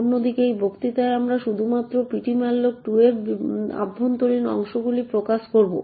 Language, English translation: Bengali, In this lecture on the other hand we will be only focusing on the internals of ptmalloc2